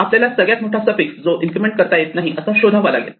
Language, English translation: Marathi, We want to find the longest suffix that cannot be incremented